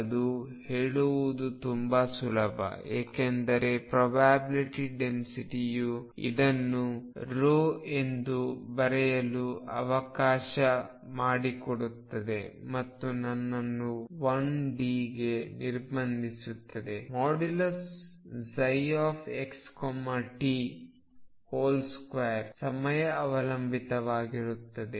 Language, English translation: Kannada, That is very easy to say because as I just said that probability density let me write this as rho and again restrict myself to one d which is psi x t mod square is time dependent